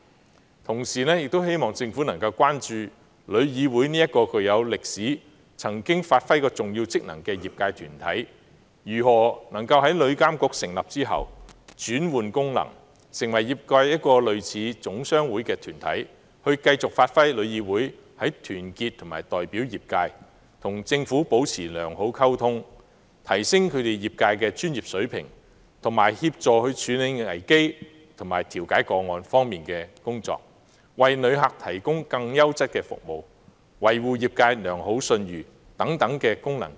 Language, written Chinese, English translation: Cantonese, 與此同時，我亦希望政府能關注旅議會這一個具有歷史、曾經發揮重要職能的業界團體，如何能夠在旅監局成立後轉換其功能，成為類似總商會的業界團體，繼續發揮其在團結及代表業界，與政府保持良好溝通，提升業界專業水平，協助處理危機和調解個案方面的工作，為旅客提供更優質的服務，維護業界良好信譽等功能。, At the same time I hope that the Government will pay attention to how TIC an industrial body of historical significance which has previously performed important functions will change its functions and become a kind of trade association of the industry after the establishment of TIA . I hope TIC will continue to perform its functions of uniting and representing the industry maintaining good communication with the Government enhancing the professional standards of the industry assisting in dealing with emergencies and conciliating cases providing quality services to visitors and maintaining the good reputation of the industry